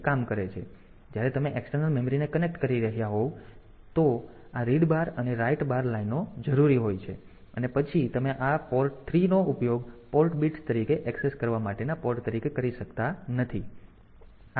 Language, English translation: Gujarati, So, when if you are connecting external memory then this read bar write bar lines are required and then you cannot use this port 3 as the port for accessing as port bits ok